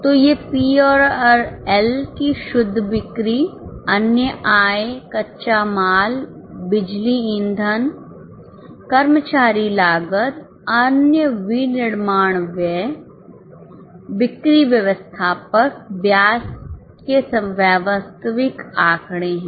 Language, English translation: Hindi, So, these are the actual figures from P&L, net sales, other income, raw material, power fuel, employee cost, other manufacturing expenses, selling, admin, interest